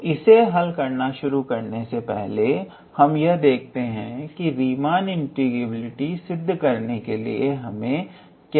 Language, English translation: Hindi, We first have to just gather the ingredient what do we need to show that Riemann integrability